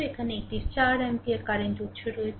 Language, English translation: Bengali, So, this is 12 ampere current right